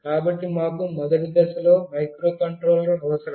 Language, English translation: Telugu, So, we need a microcontroller on a first step